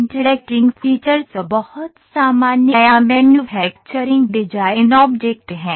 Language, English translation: Hindi, The interacting features are very common or manufacturing design objects